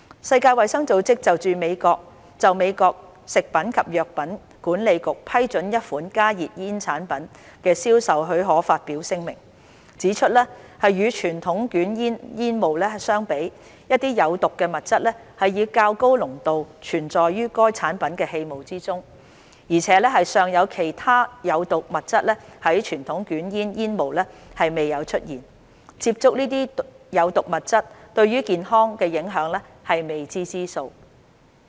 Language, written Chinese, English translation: Cantonese, 世界衞生組織就美國食品及藥物管理局批准一款加熱煙產品的銷售許可發表聲明，指出"與傳統捲煙煙霧相比，一些有毒物質以較高濃度存在於該產品的氣霧中，而且尚有其他有毒物質在傳統捲煙煙霧中未有出現，接觸這些有毒物質對健康的影響是未知之數"。, The World Health Organization in response to the marketing authorization of a HTP by the US Food and Drug Administration published a statement pointing out that some toxins are present in higher levels in HTP aerosols than in conventional cigarette smoke and there are some additional toxins present in HTP aerosols that are not present in conventional cigarette smoke . The health implications of exposure to these are unknown